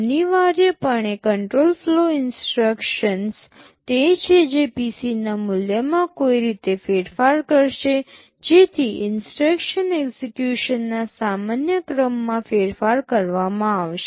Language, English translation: Gujarati, Essentially control flow instructions are those that will be altering the value of PC in some way so that the normal sequence of instruction execution will be altered